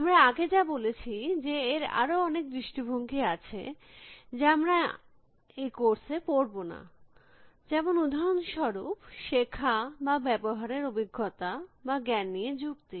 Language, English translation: Bengali, As we said, there are many other aspects that we will not cover in this course for example, learning or using experience or reasoning with knowledge